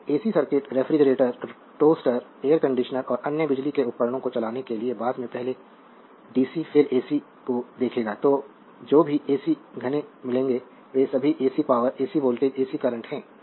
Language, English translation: Hindi, So, ac circuit will see later first dc then ac to run the refrigerator, toaster, air conditioner and other electrical appliances, whatever ac dense will get these are all your ac power ac voltage ac current right